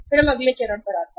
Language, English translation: Hindi, Then we move to the next step